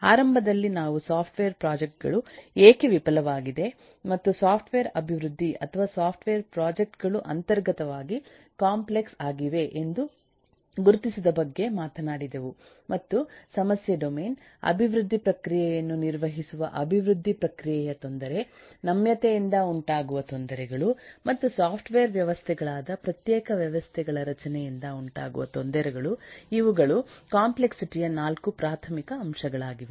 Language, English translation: Kannada, initially we talked about why software project failed and identified that software development, software projects are inherently complex and there are 4 primary elements of complexity coming from the problem domain: the difficulty of uh development process, uh managing development process, the flexibility and eh problems due to the discrete eh systems structure of the software systems